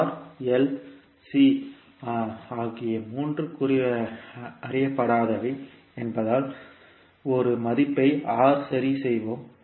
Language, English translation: Tamil, Since we have 3 unknown here R, L and C, we will fix one value R